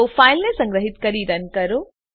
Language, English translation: Gujarati, So save and run the file